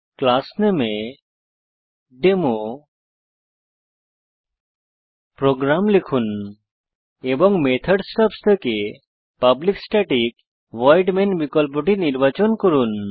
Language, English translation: Bengali, In the class name type DemoProgram and in the method stubs select one that says Public Static Void main